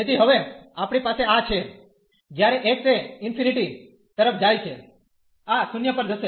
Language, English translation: Gujarati, So, we have now this here when x goes to infinity, this will go to 0